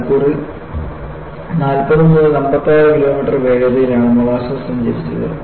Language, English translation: Malayalam, And, the molasses travelled with a speed of 40 to 56 kilometers per hour